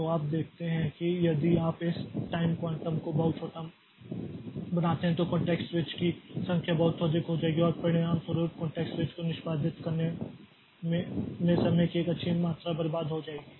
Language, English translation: Hindi, So, you see that if you make this time quantum very small then the number of context switches will be very high and as a result a good amount of time will be wasted in setting this in executing the context switches